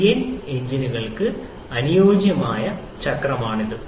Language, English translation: Malayalam, This is the ideal cycle for the CI engines